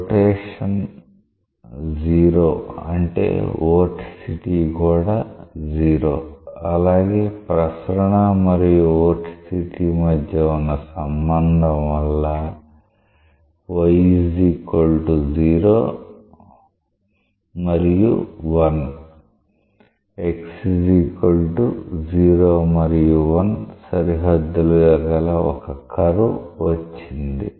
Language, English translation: Telugu, The rotation is 0; that means, it is vorticity is 0 and by the relationship between circulation and vorticity, now you have a curve bounded by what y = 0 and 1 and x = 0 and 1